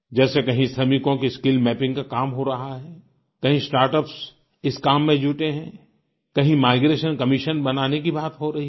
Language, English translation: Hindi, For example, at places skill mapping of labourers is being carried out; at other places start ups are engaged in doing the same…the establishment of a migration commission is being deliberated upon